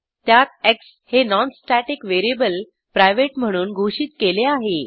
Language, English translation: Marathi, In this we have a non static variable as x declared as private